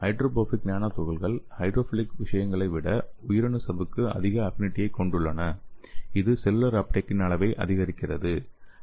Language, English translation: Tamil, So this is hydrophobic nano particles have higher affinity for the cell membrane than hydrophilic ones so leading to an improvement of cell uptake in the kinetics and the amount